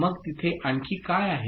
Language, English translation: Marathi, So, what else is there